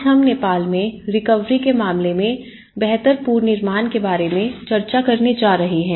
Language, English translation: Hindi, Today, we are going to discuss about build back better in the case of Nepal recovery